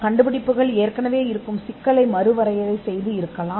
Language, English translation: Tamil, Inventions can redefine an existing problem and solve it